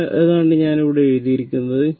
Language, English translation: Malayalam, So, that is what I have written here